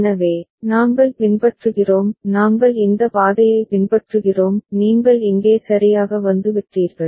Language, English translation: Tamil, So, we have following; we have following this path; you have come here right